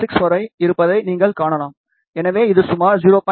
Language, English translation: Tamil, 16, so we can say it is approximately 0